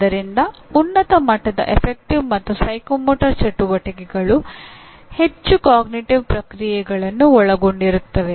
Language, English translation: Kannada, So higher level, affective and psychomotor activities will involve more and more cognitive processes